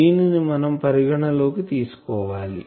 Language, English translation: Telugu, So, that you take into account